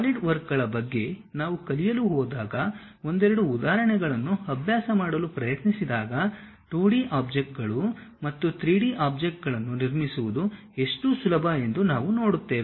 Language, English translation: Kannada, When we are going to learn about Solidworks try to practice couple of examples, we will see how easy it is to really construct 2D objects and 3D objects